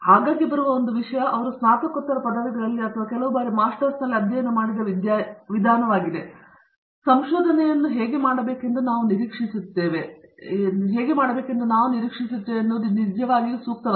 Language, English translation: Kannada, One thing that comes up often is the way that they have studied in the bachelors or some times even in the masters, is not really amenable to how we expect research to be done